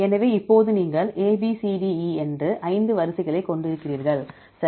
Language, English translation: Tamil, So, now you have the five sequences A B C D E, right